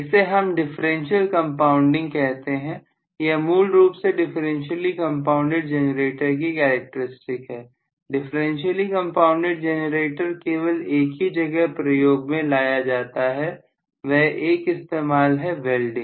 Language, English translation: Hindi, So, this we call as the differential compounding, so this is essentially the characteristics of a differentially compounded generator, differentially compounded generator has only one single application, only one application that is generally in welding